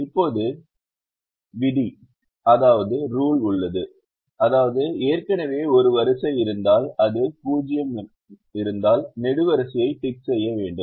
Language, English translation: Tamil, the rule is: if there is a row that is already ticked, if it has a zero, tick the column